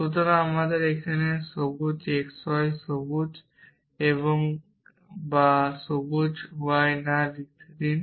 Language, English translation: Bengali, So, let me write this here on x y or green x or not green y